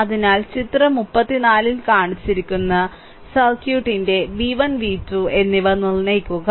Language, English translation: Malayalam, So, determine v 1 and v 2 of the circuit shown in figure 34